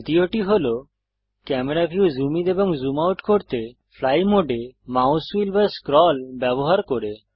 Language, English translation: Bengali, Second method is using the mouse wheel or scroll in fly mode to zoom in and out of the camera view